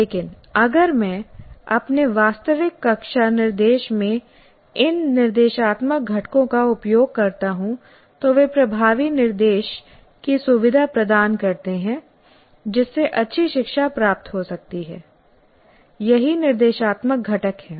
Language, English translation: Hindi, But if I use these instructional components in my actual classroom instruction, they facilitate effective instruction that can lead to good learning